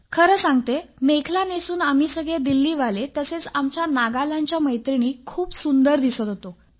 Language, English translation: Marathi, Believe me, our Delhi group was looking pretty, as well as our friends from Nagaland